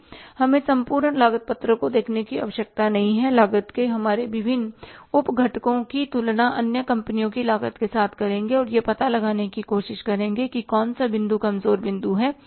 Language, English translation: Hindi, We will compare our different sub components of the cost with the other companies cost and try to find out which point is the weak point